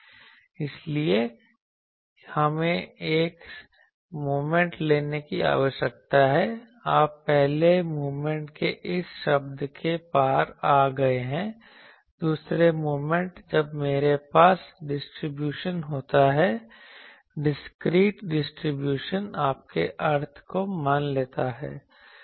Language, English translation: Hindi, So, that is why we need to take a moment you see moment was you have come across this term that first moment, second moment when that I have a distribution, discrete distribution suppose your mean